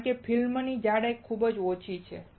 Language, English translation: Gujarati, Because the thickness of the film is extremely small